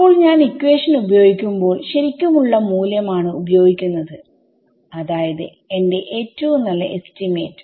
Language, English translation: Malayalam, So, when I use the equation I am using the actual value that I know my best estimate